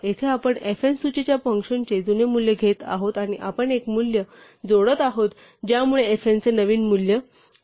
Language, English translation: Marathi, So, here we taking the old value of the function of the list fn and we are appending a value it would getting a new value of fn